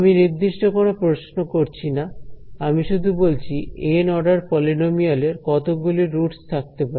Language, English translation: Bengali, I am not asking a very specific question ok, I am just saying how many roots will there be of this Nth order polynomial